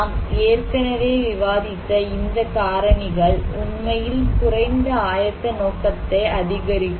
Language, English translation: Tamil, So, these factors we discussed already can actually increase the low preparedness intention